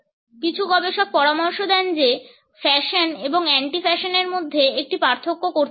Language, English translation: Bengali, Some researchers suggest that a distinction has to be drawn between fashion and anti fashion